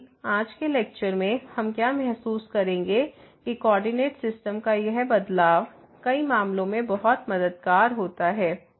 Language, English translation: Hindi, But what we will realize in today’s lecture that this change of coordinate system in many cases is very helpful